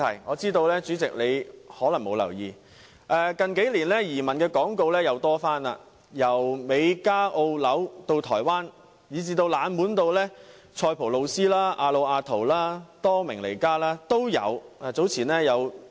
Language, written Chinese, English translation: Cantonese, 我知道主席可能並沒有留意，近年有關移民的廣告再次增加，移民地點包括美加、澳洲、新西蘭，以至台灣，甚至冷門如塞浦路斯、亞努亞圖、多明尼加等。, I know that the President may not be aware that there is a resurgence of emigration advertisements in recent years which has been increasing in number . Among the choices of migration destinations are the United States of America Canada Australia New Zealand Taiwan and even those less popular countries like Cypress Vanuatu and the Commonwealth of Dominica